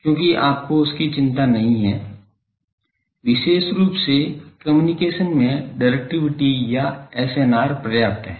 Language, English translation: Hindi, Because, you are not so, concern particularly in communication the directivity or SNR is sufficient